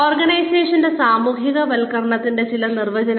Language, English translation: Malayalam, Some definitions of organizational socialization